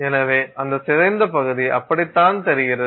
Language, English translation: Tamil, So that deformed region is looks like that